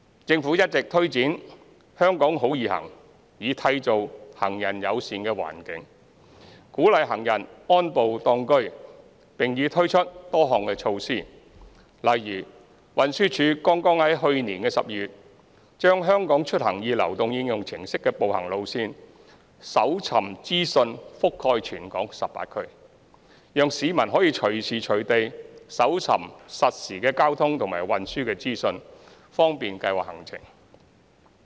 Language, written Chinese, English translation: Cantonese, 政府一直推展"香港好.易行"，以締造行人友善環境，鼓勵行人安步當車，並已推出多項措施，例如運輸署剛於去年12月把"香港出行易"流動應用程式的步行路線搜尋資訊覆蓋全港18區，讓市民可以隨時隨地搜尋實時交通和運輸資訊，方便計劃行程。, The Government has been taking forward Walk in HK to create a pedestrian - friendly environment and encourage citizens to walk more by implementing a host of measures . For example TD has since December last year extended the walking route search information on the HKeMobility mobile app to cover all 18 districts in Hong Kong so that the public can acquire real - time traffic and transport information anytime and anywhere for route planning